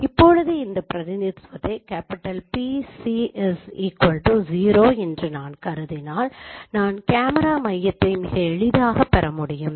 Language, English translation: Tamil, Now if I consider this representation PC equals 0, I can derive the camera center very easily